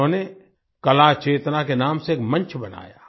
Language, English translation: Hindi, He created a platform by the name of 'Kala Chetna'